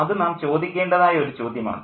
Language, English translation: Malayalam, And that's the question that we need to ask too